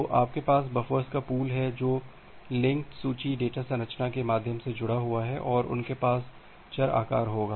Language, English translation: Hindi, So, you have the pool of buffers which are connected via linked list data structure and they will have variable size